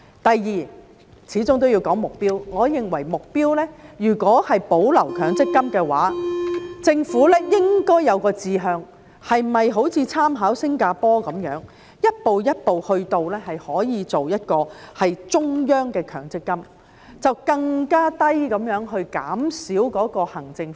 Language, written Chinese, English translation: Cantonese, 第二，始終都要說目標，我認為如果是保留強積金的話，政府應該有一個志向，是否應參考新加坡般，一步一步的做到一個中央強積金，把行政費用減到更低？, Second it is after all necessary to talk about the goal . I think should MPF be retained the Government should have a goal . Should it draw reference from Singapore and adopt a step - by - step approach to ultimately achieve a centralized MPF scheme so as to bring down the administrative fee?